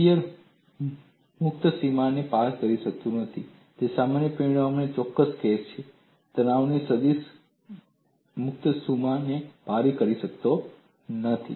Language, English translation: Gujarati, So, shear cannot cross a free boundary is only a particular case of a generic result; that is, stress vector cannot cross the free boundary